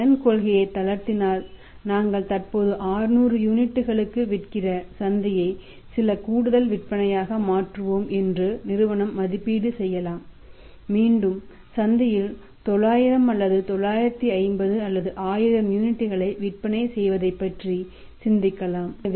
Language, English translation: Tamil, If the firm has to relax as credit policy then the firm can evaluate that if he is relax the credit policy we will make some additional sales the market currently we are selling for 600 units we can think of selling say againe 900 or 950 or 1000 units in the market